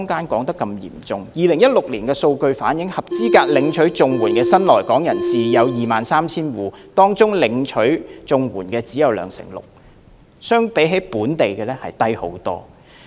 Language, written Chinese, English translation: Cantonese, 根據2016年的數據，合資格領取綜援的新來港人士有 23,000 戶，當中領取綜援的比例只有兩成六，遠比本地數字少。, Statistics in 2016 show that 23 000 new - arrival households were eligible for CSSA but merely 26 % of them were CSSA recipients . This figure is far lower than the figure for local households